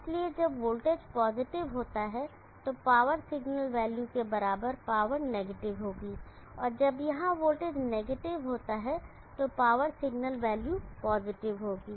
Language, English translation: Hindi, So when the voltage is positive the equivalent power signal value will be negative, when the voltage is negative here the power signal value will be positive